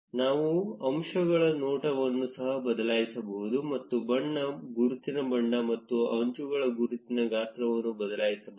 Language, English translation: Kannada, We can also change the appearance of the edges; we can change the color, the label color and the label size of the edges